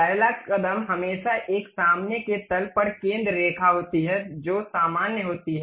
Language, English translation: Hindi, The first step is always be centre line on a front plane, normal to it